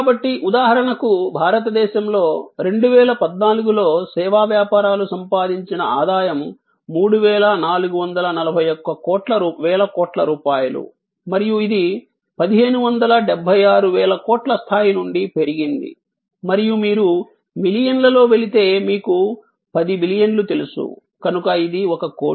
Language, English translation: Telugu, So, so much to say that in India for example, 3441 thousand crores of rupees were the revenue generated by service businesses in 2014 and this has grown from the level of 1576 thousand crores and if you go in millions you know 10 billion, so it is a crore